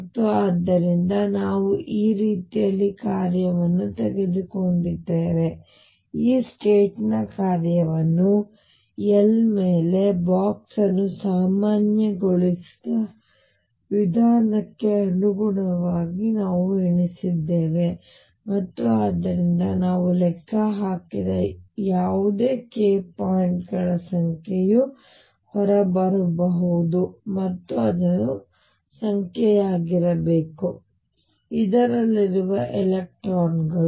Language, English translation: Kannada, And so, we had taken these way function we have counted this state’s corresponding to the way function which have been box normalized over L and therefore, the number of k points came out to be whatever we have calculated, and that should be the number of electrons n in this